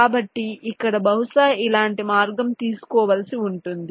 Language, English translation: Telugu, so here possibly will have to take a route like this